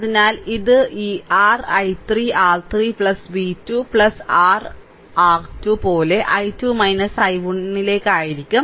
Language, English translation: Malayalam, So, it will be simply like this I your i 3 R 3 plus v 2 plus your R 2 into i 2 minus i 1, right